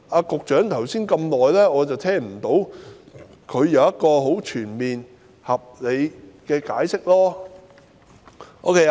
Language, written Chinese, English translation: Cantonese, 局長剛才發言那麼久，我並未聽到他對此作出全面合理的解釋。, The Secretary has spoken for such a long time just now but I have not heard him give a full and reasonable explanation on this